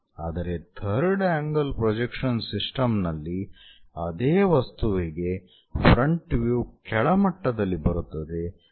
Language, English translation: Kannada, Whereas, in third angle system third angle projection system, what we see is for the same object the front view comes at bottom level